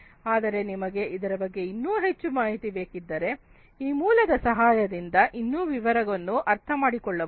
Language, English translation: Kannada, But if you need to understand in further more detail this is the source that can help you to understand in further more detail